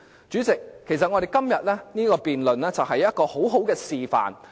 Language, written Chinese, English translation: Cantonese, 主席，我們今天的辯論，其實是一個良好示範。, President our debate today is actually a good demonstration